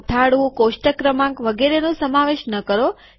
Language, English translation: Gujarati, Do not include caption, table number etc